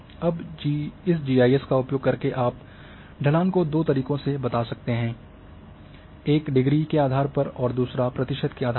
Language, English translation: Hindi, Now using this GIS you can drive slope in two ways; one based on the degree and one based in the percentage